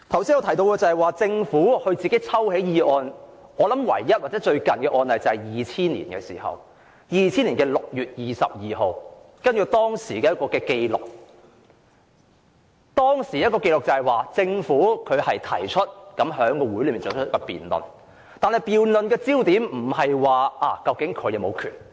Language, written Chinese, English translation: Cantonese, 說到政府自行抽起法案，唯一或最近的案例是在2000年6月22日，根據當時的紀錄，政府在會議上提出休會辯論，但辯論的焦點並非政府是否有權這樣做。, Speaking of the Governments withdrawal of a bill of its own accord the only or the most recent precedent case took place on 22 June 2000 . According to the record of what happened back then the Government initiated an adjournment debate at the meeting but the debate was not focused on whether the Government had the right to do so